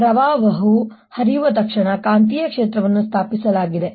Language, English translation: Kannada, as soon as the current flows, there is a magnetic field established